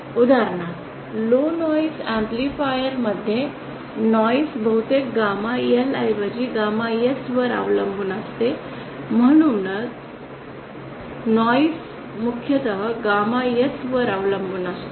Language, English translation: Marathi, For example in low noise amplifiers noise depends mostly on gamma S rather than gamma L so noise depends mostly on gamma S